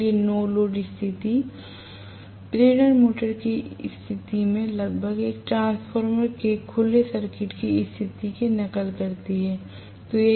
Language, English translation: Hindi, So, no load condition almost mimics the situation of open circuit condition of a transformer in the case of an induction motor